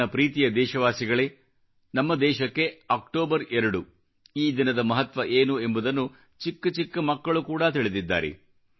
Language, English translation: Kannada, My dear countrymen, every child in our country knows the importance of the 2nd of October for our nation